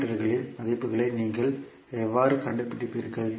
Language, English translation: Tamil, How you will find the values of parameters